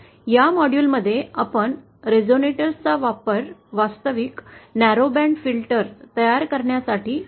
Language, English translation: Marathi, In this module, we shall be using those resonators to build the actual narrowband filter